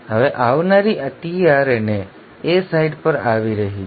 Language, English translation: Gujarati, Now the incoming tRNA is coming at the A site